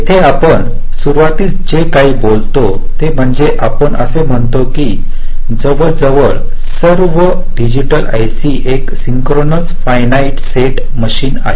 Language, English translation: Marathi, ok here, what we talk about at the beginning is that we say that almost all digital i c's are synchronous finite set machines